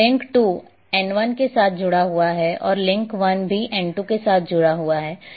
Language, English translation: Hindi, So, the link 2 is connected with N1 and link 1 is also connected with N2